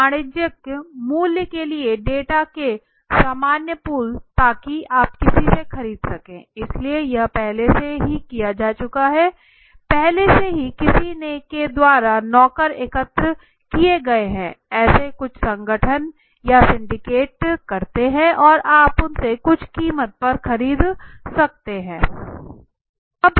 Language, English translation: Hindi, Common pools of data for a commercial value so you can buy from somebody write okay so this are already done so already the servant collected by somebody some syndicate some organization and you can buy it from them at some price okay